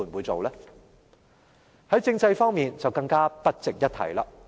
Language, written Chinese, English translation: Cantonese, 在政制方面就更不值一提。, In terms of political reform it is even more unworthy of mentioning